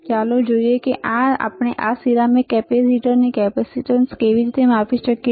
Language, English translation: Gujarati, So, let us see how we can measure the capacitance of this ceramic capacitor